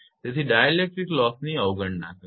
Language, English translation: Gujarati, So, neglect the dielectric loss